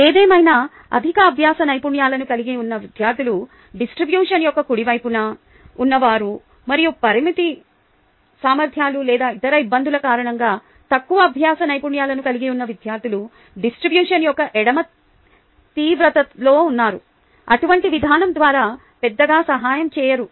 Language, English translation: Telugu, however, students who possess high learning skills, who are at the right extreme of the distribution, and students who possess low learning skills due to limited abilities or other difficulties, who are at the left extreme of the distribution, are not helped much by such an approach